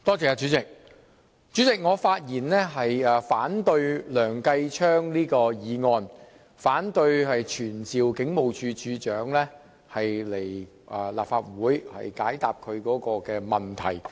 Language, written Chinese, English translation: Cantonese, 主席，我發言反對梁繼昌議員動議的議案，不贊成據此傳召警務處處長前來立法會解答其問題。, President I speak against the motion moved by Mr Kenneth LEUNG . I oppose summoning the Commissioner of Police to attend before the Council to answer questions in accordance with the motion